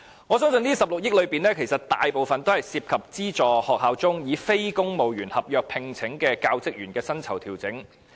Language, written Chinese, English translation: Cantonese, 我相信這16億元裏面，大部分涉及資助學校以非公務員合約聘請的教職員的薪酬調整。, I believe most of this sum of 1.6 billion is for the pay adjustment of teaching staff employed by aided schools on non - civil service contracts